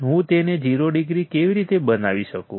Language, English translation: Gujarati, How can I make it 0 degree